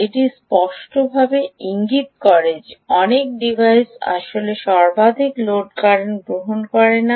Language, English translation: Bengali, all right, this clearly indicates, ah, that many devices actually dont take the maximum load current at all